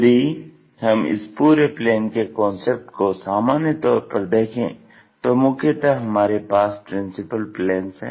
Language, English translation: Hindi, So, if we are generalizing this entire planes concept, mainly, we have principal planes